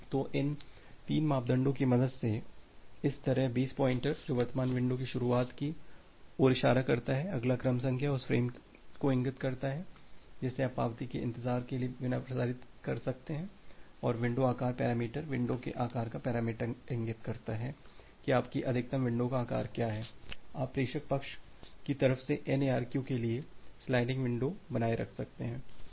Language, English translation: Hindi, So, that way with the help of these three parameters the base pointer which points to the starting of the current window, the next sequence number: the next sequence number points to the frame which you can transmit without waiting for the acknowledgement and the window size parameter: the window size parameter indicates that what is your maximum window size; you can maintain the sliding window at the sender sides sender side, for go back N ARQ